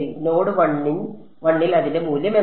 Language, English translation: Malayalam, What is its value at node 1